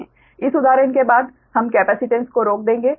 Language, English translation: Hindi, right after this example we will stop the capacitance one, right